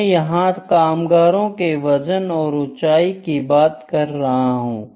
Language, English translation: Hindi, For instance I am talking about the weight and height of maybe workers